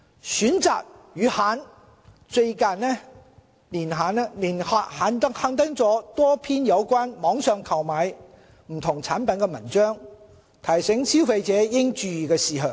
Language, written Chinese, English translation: Cantonese, 《選擇》月刊近年刊登多篇有關網上購買不同產品的文章，提醒消費者應注意的事項。, A good number of articles have been featured in the CHOICE Magazine in recent years to provide tips to consumers for purchasing various products online